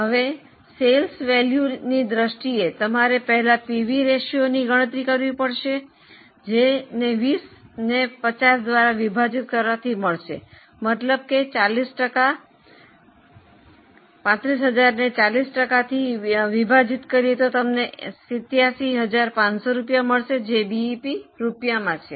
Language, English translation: Gujarati, Now, in terms of sales value, you will have to first calculate pv ratio which is 20 by 50 that means 40%, 35,000 by 40% gives you 87,500 rupees